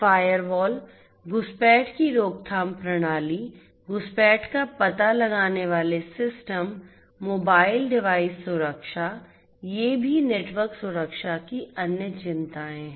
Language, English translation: Hindi, Firewalls, intrusion prevention systems, intrusion detection systems, mobile device security, these are also other concerns of network security